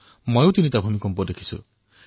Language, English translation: Assamese, This house has faced three earthquakes